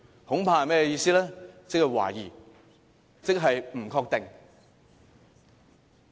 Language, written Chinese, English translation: Cantonese, 即是懷疑，即是不確定。, It means doubt and uncertainty